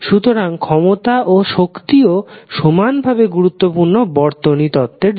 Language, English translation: Bengali, So, the power and energy is also important portion for our circuit analysis